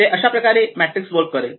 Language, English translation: Marathi, So this matrix will work